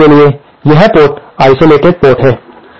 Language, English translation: Hindi, For this port, this port is the isolated port